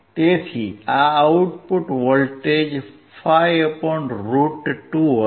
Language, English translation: Gujarati, So, the output voltage would be (5 / √2)